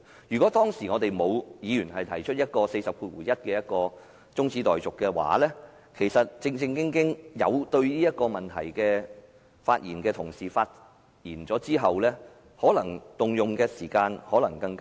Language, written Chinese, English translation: Cantonese, 如果沒有議員根據《議事規則》第401條提出中止待續議案，讓對此議題感情趣的同事發言，所花的時間可能更短。, If no Member had moved the adjournment motion under RoP 401 and Members interested in this issue were allowed to speak we might have spent less time on this subject